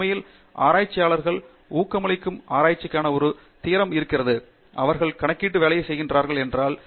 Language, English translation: Tamil, In fact, there is a theory of reproducible research in which the researchers are encouraged, if they are doing computational work